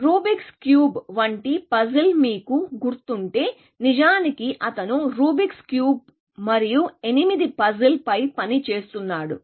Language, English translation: Telugu, If you remember the puzzle like Rubics cube, in fact, he was working on Rubics cube and the eight puzzles